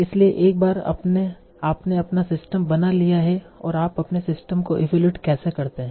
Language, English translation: Hindi, So, once you have built your system and how do you evaluate your system